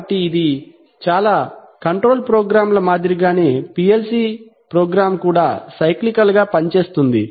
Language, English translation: Telugu, So this one, obviously in, like in most control programs a PLC program also works cyclically